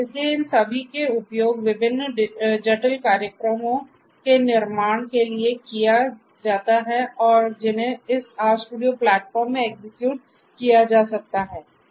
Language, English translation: Hindi, So, these together are used in order to build different complex programs that could be executed in this RStudio platform